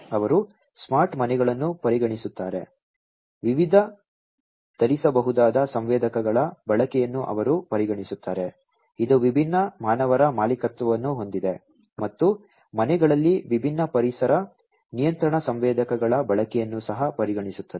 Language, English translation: Kannada, They consider the smart homes, they consider the use of different wearable sensors, which could be owned by different humans, and also the use of different environment control sensors at homes